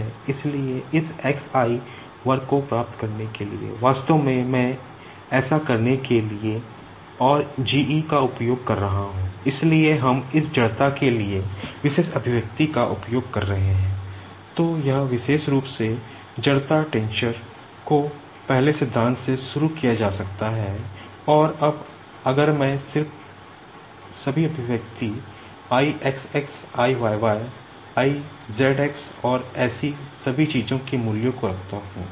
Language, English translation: Hindi, So, this particular inertia tensor can be derived starting from the first principle and now if I just put all the expression the values of I xx, I yy, I zx and all such things